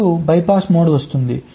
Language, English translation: Telugu, then comes the bypass mode